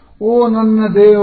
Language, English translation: Kannada, Oh my god